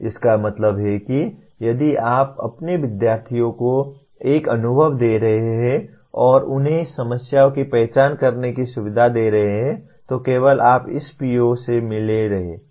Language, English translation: Hindi, That means if you are giving an experience to your students and facilitating them to identify problems, then only you are meeting this PO